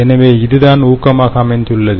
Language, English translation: Tamil, so this is the motivation